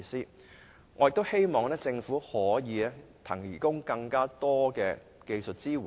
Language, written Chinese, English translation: Cantonese, 在這方面，第一，希望政府能為他們提供更多技術支援。, In this connection I first of all hope that the Government will provide them with more technical support in this respect